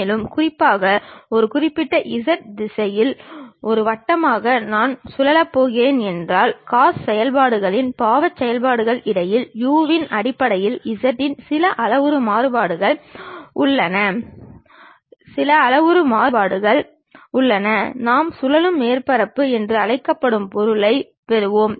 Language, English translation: Tamil, And, especially we have some parametric variation r of z in terms of u in terms of cos functions sin functions if I am going to revolve as a circle along one particular z direction, we will get the object which we call revolved surfaces